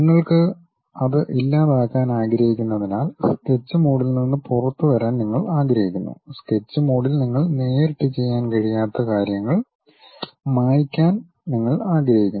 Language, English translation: Malayalam, You want to come out of Sketch mode because you want to delete the things, you want to erase the things you cannot straight away do it on the sketch mode